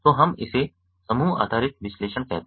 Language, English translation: Hindi, so we call this group based analytics